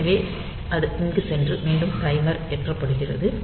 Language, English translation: Tamil, So, it goes to here and again the timer is loaded